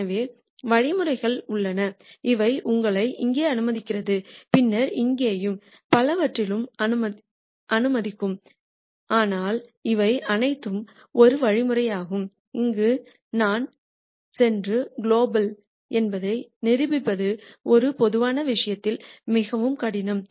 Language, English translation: Tamil, So, there are algorithms which will let you jump here and then maybe will jump here and so on, but these are all algorithms where it is very difficult in a general case to prove that I will go and hit the global minimum